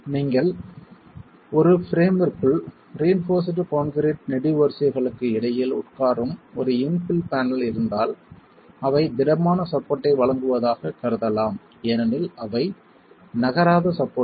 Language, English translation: Tamil, If you have an infill panel that is sitting between reinforced concrete columns within a frame, then those could be assumed to be providing rigid support because they are non moving supports